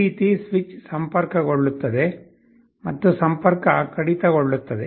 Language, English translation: Kannada, The switch will be connecting and disconnecting like that